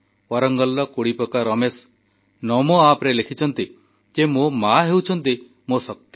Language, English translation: Odia, Kodipaka Ramesh from Warangal has written on Namo App"My mother is my strength